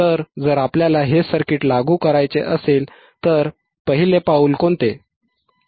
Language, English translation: Marathi, So, if we want to implement this circuit, what is the first step